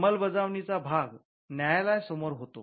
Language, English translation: Marathi, The enforcement part happens before the courts